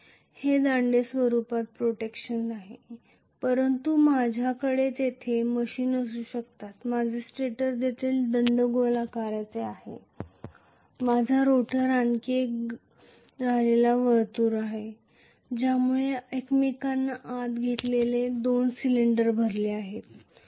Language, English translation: Marathi, It is having protrusions in the form of poles but I may have machines there my stator is also cylindrical my rotor is another concentric circles filling up two cylinders inserted inside one another